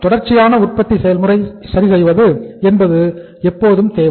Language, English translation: Tamil, So the continuous adjustment in the manufacturing process is required to be made